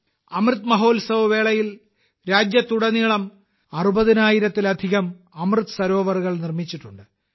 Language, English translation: Malayalam, During the Amrit Mahotsav, more than 60 thousand Amrit Sarovars have also been created across the country